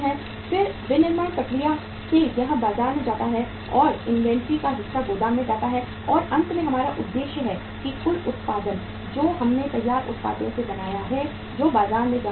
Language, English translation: Hindi, Then from the manufacturing process it goes to the market and part of the inventory goes to the warehouse and finally our objective is that the total production which we have made of the finished products that should go to the market